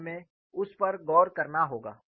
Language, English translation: Hindi, So, we have to look that